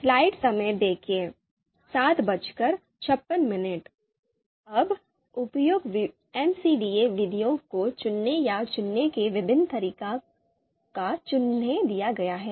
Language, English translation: Hindi, Now different ways of picking or selecting appropriate MCDA methods have been suggested